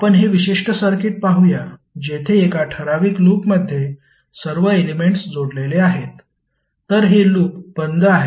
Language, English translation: Marathi, Let us see this particular circuit where all elements are connected in in in a particular loop, so this loop is closed loop